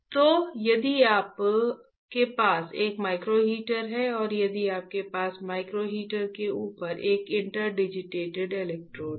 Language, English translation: Hindi, So, now if you have a micro heater and if you have a interdigitated electrodes over the micro heater